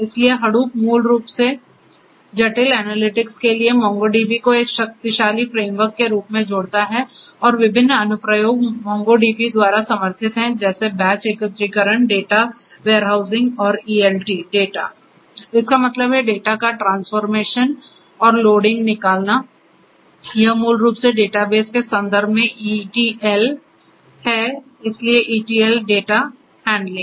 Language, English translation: Hindi, So, Hadoop basically adds as a powerful framework to MongoDB for complex analytics and different applications are supported by MongoDB such as batch aggregation, data warehousing and ETL data; that means, extract transform and loading of data, this is basically common term ETL in the context of databases so, ETL data handling